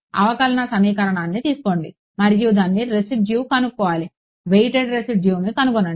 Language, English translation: Telugu, Take the differential equation and consider find its residual right weighted residuals